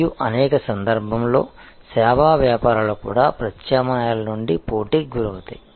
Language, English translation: Telugu, And in many cases, service businesses are also prone to competition from substitutes